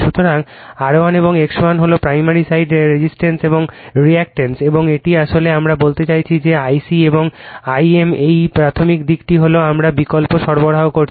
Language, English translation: Bengali, So, the R 1 and X 1 is the primary side resistance and reactance and this is actually we are meant to this is your what you call that I c and I m that is your primary side we are giving the alternating supply